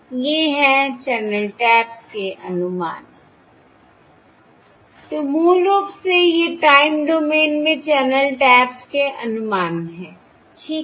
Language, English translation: Hindi, these are the estimates of the channel taps, Estimates of time domain channel taps or basically your ISI channel